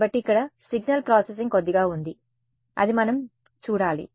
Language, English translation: Telugu, So, here is where there is a little bit of signal processing that we need to look at ok